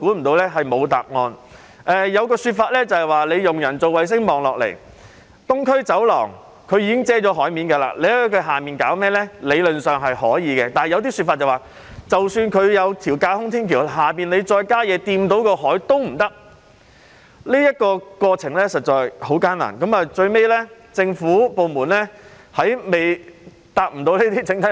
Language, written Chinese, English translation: Cantonese, 當時有一種說法是利用人造衞星向下望，東區走廊已遮蓋了海面，理論上在它的下方做甚麼也可以，但亦有說法是即使已設有架空天橋，若在下方再興建任何東西觸及海面，也是不可以的。, At that time there was an argument that taking a top - down satellite view one would see that the Island Eastern Corridor had covered the sea . So in theory anything could be done underneath it . However there was another argument that even if a viaduct had been built further construction of anything beneath it that would touch the sea was prohibited